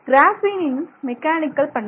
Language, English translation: Tamil, Mechanical properties of graphene